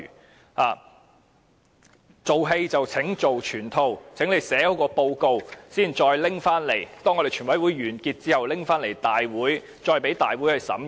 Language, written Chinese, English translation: Cantonese, 請"做戲做全套"，寫好報告。當全委會完結後，將寫好的報告提交立法會審議。, Please carry through the whole show and properly write the report and submit the completed report to the Legislative Council for consideration after the conclusion of the committee of the whole Council